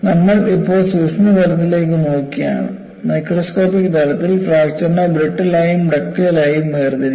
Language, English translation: Malayalam, We are now looking at the microscopic level; at the microscopic level, the fracture can be classified as brittle as well as ductile